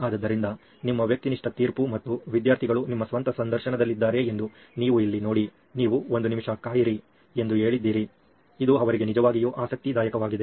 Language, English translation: Kannada, So your subjective judgment and where you saw that students were in your own interviews you said wait a minute, this is really interesting ones for them